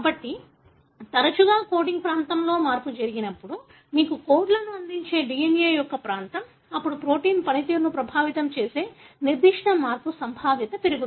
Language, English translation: Telugu, So, more often when the change happens in the so called coding region, the region of the DNA that gives you the codes, then the probability of that particular change affecting the protein function goes up